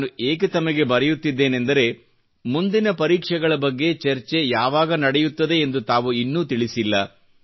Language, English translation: Kannada, The reason I am writing to you is that you have not yet shared with us the scheduled date for your next interaction on examinations